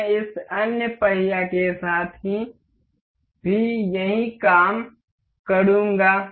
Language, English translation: Hindi, I will do the same thing with this other wheel